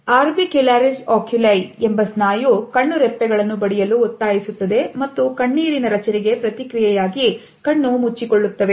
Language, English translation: Kannada, And the orbicularis oculi muscle forces the eyelids to drop and closed in response to the formation of tears